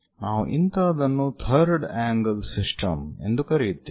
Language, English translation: Kannada, Such kind of things what we call third angle system